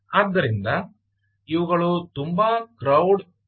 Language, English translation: Kannada, so they are very cloud friendly